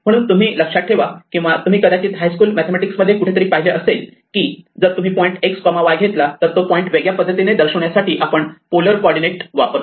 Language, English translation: Marathi, So, you may remember or you may have seen somewhere in high school mathematics that if you take the point x, y then an alternative way of representing where this point is to actually use polar coordinates